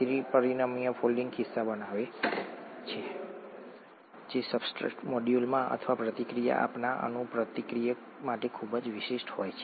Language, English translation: Gujarati, The three dimensional folding creates pockets that are very specific to the substrate molecule or the reacting molecule, reactant